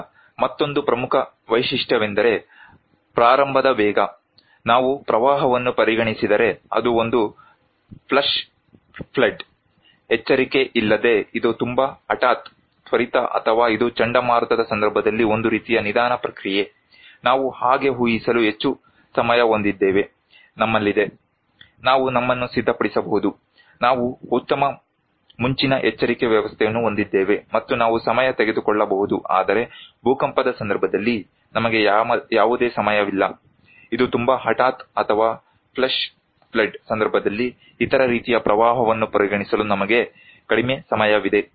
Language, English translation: Kannada, Now, coming another important feature is the speed of onset like, if we consider a flood, it is a flash flood, it is very sudden without warning, very quick or is it a kind of slow process like in case of cyclone, we have much time to predict so, we have; we can prepare our self, we have better early warning system and we can take time but in case of earthquake, we do not have any time, it is very sudden or in case of flash flood, we have less time also consider to other kind of a flood